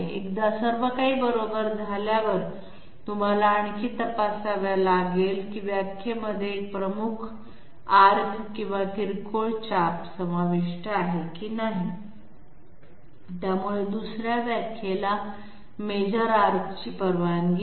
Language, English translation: Marathi, Once everything is correct, you have to further check whether a major arc or a minor arc is involved in the definition, so 2nd definition is not allowed major arc